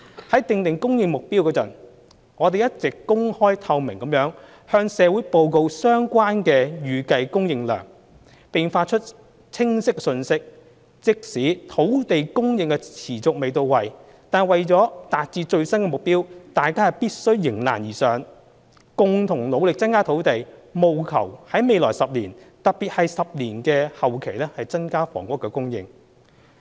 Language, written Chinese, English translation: Cantonese, 在訂定供應目標時，我們一直公開透明地向社會報告相關的預計供應量，並發出清晰的信息：即使土地供應持續未到位，為達致最新的目標，大家必須迎難而上，共同努力增加土地，務求在未來10年——特別是10年期內的後期——增加房屋供應。, In formulating the supply targets we have all along been reporting to society the estimated supply in an open and transparent manner and have been sending a clear message . Even if the shortfall in land supply persists to meet the new targets we must face the challenge and endeavour together to increase land supply with a view to increasing housing supply in the next 10 years particularly in the latter part of the 10 - year period